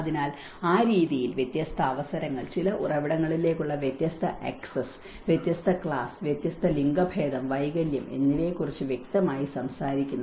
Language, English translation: Malayalam, So, in that way, it obviously talks about different opportunities, different access to certain resources, different class, different gender and the disability